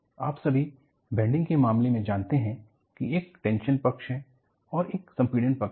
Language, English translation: Hindi, And, you all know in the case of a bending, you have a tension side and you have a compression side